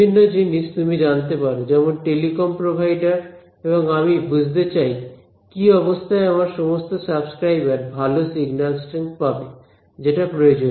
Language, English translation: Bengali, Various things maybe you know telecom provider and I want to understand under what conditions will all my subscribers get good signal strength that can be our requirement right